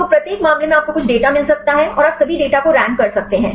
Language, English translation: Hindi, So, each case you can get some data and you can rank all the data